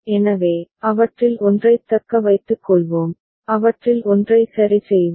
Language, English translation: Tamil, So, we shall retain one of them and remove one of them ok